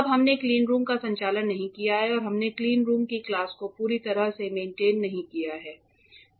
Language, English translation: Hindi, Now, right now we have not we are not operating the cleanroom and we have not fully maintained the class of the cleanroom